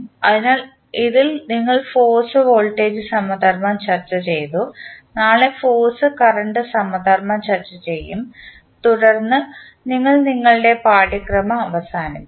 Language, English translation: Malayalam, So, in this we discussed force voltage analogy, tomorrow we will discuss force current analogy and then we will wind up our course